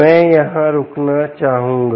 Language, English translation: Hindi, i would like to stop here